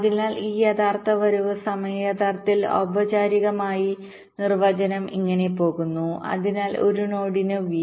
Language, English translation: Malayalam, so this, this, this actual arrival time, actually formally definition goes like this: so for a node, v